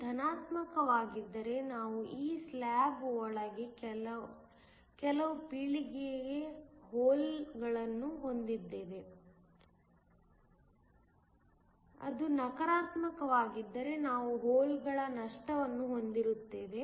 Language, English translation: Kannada, If it is positive we have some generation of holes within this slab, if it is negative we have some loss of holes